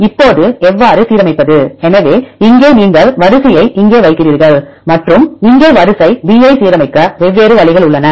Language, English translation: Tamil, Now how to align; so here you put sequence a here and the sequence b here there are different ways to align